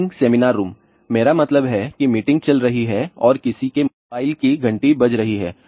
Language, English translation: Hindi, In meeting seminar rooms I mean ah meeting is going on and somebody's mobile phone rings